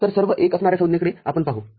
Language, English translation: Marathi, So, we shall look at the terms that are having all ones